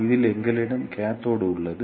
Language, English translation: Tamil, In this we have a cathode